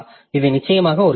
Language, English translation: Tamil, So, this is of course a question